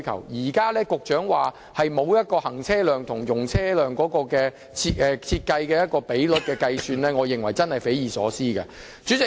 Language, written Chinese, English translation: Cantonese, 所以，局長現時說沒有就這兩段道路的行車量/容車量比率估算，我認為是匪夷所思的。, Now the Secretary says that he does not have an estimation of the vc ratio of these two roads I really find it inconceivable